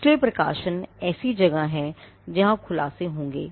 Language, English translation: Hindi, So, publications are places where you would find disclosures